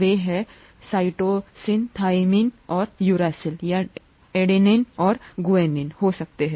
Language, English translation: Hindi, They are, they could be cytosine, thymine and uracil or adenine and guanine, okay